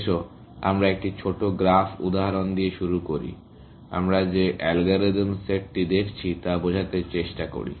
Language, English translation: Bengali, Let us start with a small example graph, just to illustrate the algorithm set that we are looking at